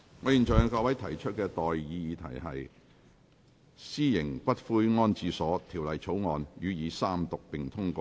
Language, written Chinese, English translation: Cantonese, 我現在向各位提出的待議議題是：《私營骨灰安置所條例草案》予以三讀並通過。, I now propose the question to you and that is That the Private Columbaria Bill be read the Third time and do pass